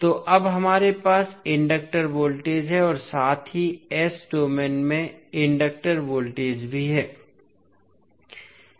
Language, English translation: Hindi, So, now we have the inductor voltage as well as inductor current in s domain